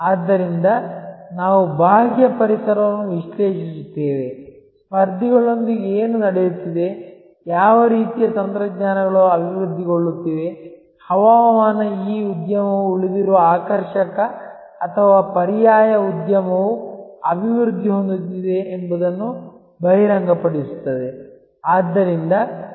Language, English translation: Kannada, So, we analyze the external environment we analyze things like, what is happening with the competitors, what sort of technologies are developing, weather this industry reveals remaining attractive or alternate industry is developing